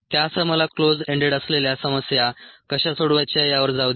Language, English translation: Marathi, with that, let me go on to how we are going to go about closed ended problem solving